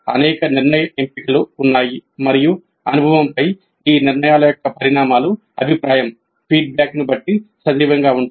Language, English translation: Telugu, There are many decision choices and the consequences of these decisions on the experience serve as the feedback